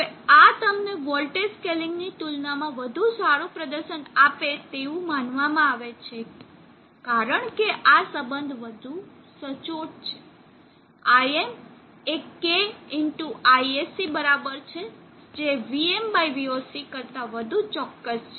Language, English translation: Gujarati, Now this supposed to give you a much better performance as compared to voltage scaling, because this relationship is much more accurate IM= K ISC is much more accurate than VM/VOC = constant